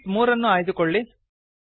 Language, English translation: Kannada, First lets select Sheet 3